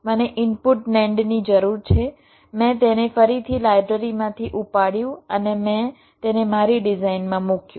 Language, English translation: Gujarati, i need for input nand, i again pick up from the library, i put it in my design